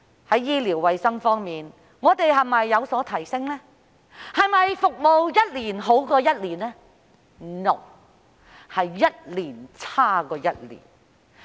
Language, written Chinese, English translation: Cantonese, 在醫療衞生方面，我們是否有所提升，服務是否一年比一年好呢？, As for healthcare services is there any improvement and are the services getting better every year?